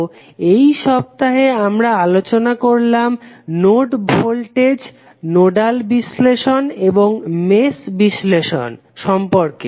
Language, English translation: Bengali, So, in this particular week we discussed about node voltage, nodal analysis and mesh analysis